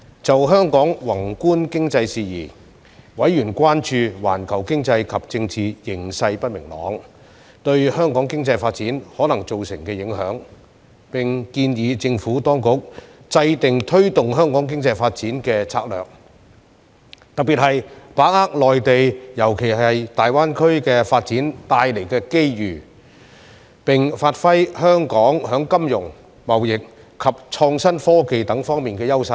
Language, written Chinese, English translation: Cantonese, 就香港宏觀經濟事宜，委員關注到環球經濟及政治形勢不明朗對香港經濟發展可能造成的影響，並建議政府當局制訂推動香港經濟發展的策略，特別是把握內地發展帶來的機遇，並發揮香港在金融、貿易及創新科技等方面的優勢。, On Hong Kongs macro economy members expressed concerns about the possible impact of uncertainties arising from the global economic and political situations on Hong Kongs economic development and suggested the Administration develop strategies to promote Hong Kongs economic development to particularly capitalize on the opportunities arising in the Mainland especially in the Greater Bay Area and give play to Hong Kongs edges in various sectors such as finance trading as well as innovation and technology